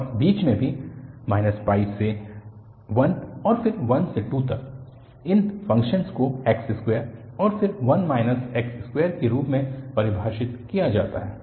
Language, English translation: Hindi, And, in between also, from minus pi to 1 and then 1 to 2, these functions are defined as x square, and then 1 minus x square